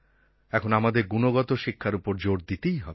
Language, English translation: Bengali, Now we will have to focus on quality education